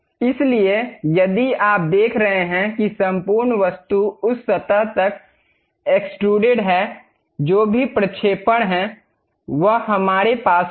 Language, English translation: Hindi, So, if you are seeing that entire object is extruded up to that surface; whatever that projection is there, we will have it